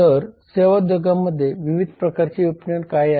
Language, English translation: Marathi, so what are the different types of marketing in service industries